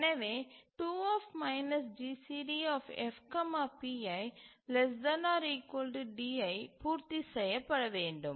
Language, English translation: Tamil, So 2F minus GCD F comma PI is less than D